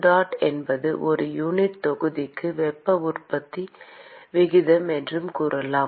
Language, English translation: Tamil, say that qdot is the rate of heat generation per unit volume